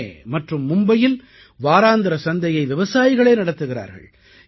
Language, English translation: Tamil, Farmers in Pune and Mumbai are themselves running weekly markets